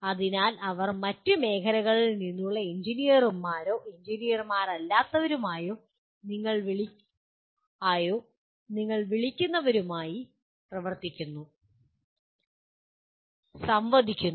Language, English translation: Malayalam, So they are working, interacting with what do you call engineers from, engineers or non engineers from other areas